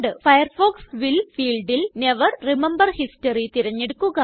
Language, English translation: Malayalam, In the Firefox will field, choose Never remember history